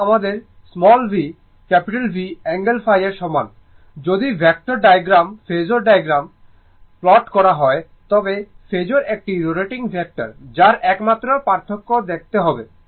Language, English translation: Bengali, And my v is equal to my V angle phi, than if we plot the phasor diagram of vector diagram, but phasor is a rotating vector that is the only difference you have to see